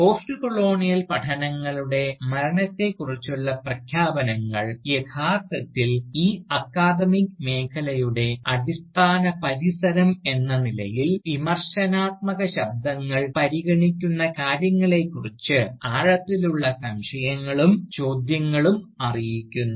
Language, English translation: Malayalam, Well, announcements of the death of Postcolonial studies, are actually informed by deep seated doubts and questions regarding, what are considered by the Criticising voices, as the basic premises of this academic field